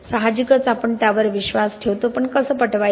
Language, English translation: Marathi, Obviously we believe in it but how do we convince